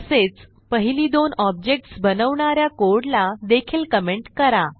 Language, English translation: Marathi, Also comment the code for creating the first two objects